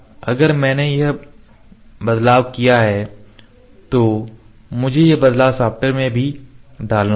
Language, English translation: Hindi, If I have made this change, I have to put this change in the software as well